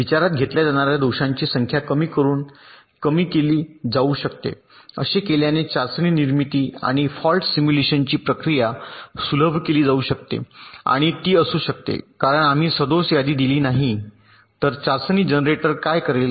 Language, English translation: Marathi, the processes of test generation and fault simulation can be simplified, and it can be made possible, because if we do not provide with a list of faults, what will the test generator do